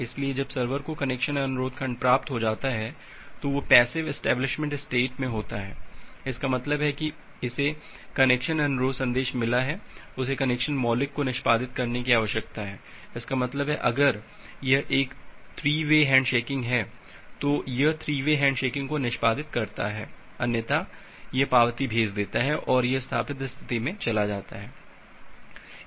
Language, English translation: Hindi, So, once the server has received the connection request segment it is in the passive establishment state; that means, it has got a connection request message they need execute the connection primitive; that means, if it is a 3 way hand shaking it execute that 3 way hand shaking, otherwise it send the acknowledgement and it moves to the established state